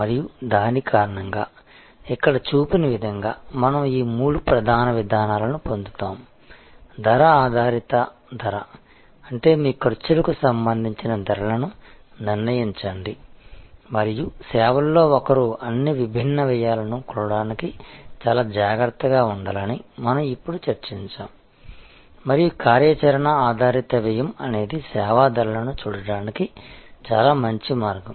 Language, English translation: Telugu, And as because of that, we get these three main approaches as shown here, cost based pricing; that means, set prices related to your costs and we discussed just now that in services one has to be very careful to measure all the different costs and so activity based costing is a very good way of looking at service pricing